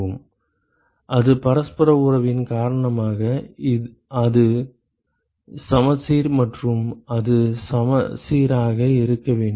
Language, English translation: Tamil, Yes it is because of the reciprocity relationship it is symmetric and it has to be symmetric